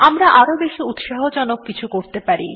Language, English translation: Bengali, We may do something more interesting